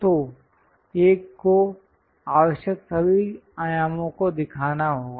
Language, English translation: Hindi, So, one has to show all the dimensions whatever required